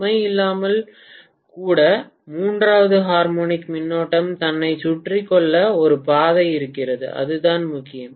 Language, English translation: Tamil, Even without load there is a path for the third harmonic current to circulate itself and that is all that matters